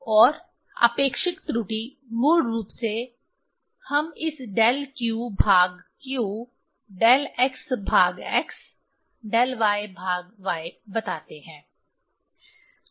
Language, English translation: Hindi, And relative error basically we tell this del q by q, del x by x, del y by y